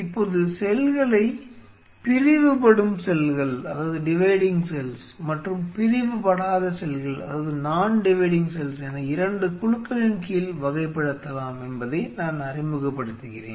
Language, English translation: Tamil, Now I am introducing that we can classify the cells under 2 groups dividing cells and non dividing cells